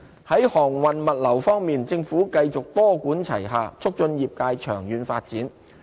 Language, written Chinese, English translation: Cantonese, 在航運物流業方面，政府繼續多管齊下促進業界長遠發展。, In terms of shipping and logistics the Government maintains multi - pronged measures to promote the sectors development in the long run